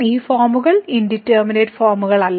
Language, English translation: Malayalam, So, these forms are not indeterminate forms